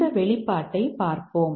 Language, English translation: Tamil, Let's look at this expression A, B, C